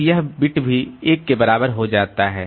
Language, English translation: Hindi, This reference bit will turn to 1